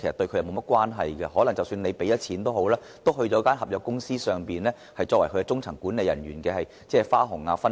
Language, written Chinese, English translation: Cantonese, 即使政府付了錢，但這筆錢只會成為外判公司中層管理人員的花紅和分肥。, Even if the Government has paid the money it will only be shared among the middle - management staff of outsourced companies as bonuses and sports